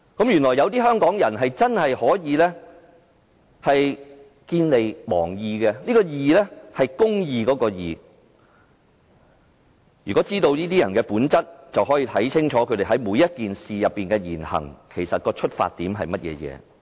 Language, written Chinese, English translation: Cantonese, 原來有些香港人真的會見利忘義，是公義的"義"。只要知道這些人的本質，便不難看出他們就每件事所作的言行的出發點是甚麼。, It is true that some Hong Kong people have given up justice for economic interests but so long as we know the nature of these people it is not difficult to tell the objectives behind their words and deeds